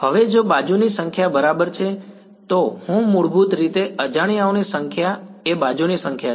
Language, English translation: Gujarati, Now, if the number of edges ok so, I basically the number of unknowns is the number of edges